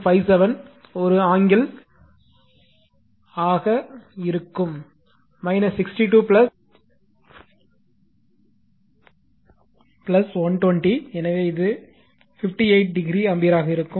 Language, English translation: Tamil, 57 an angle minus 62 plus 120, so it will be 58 degree ampere right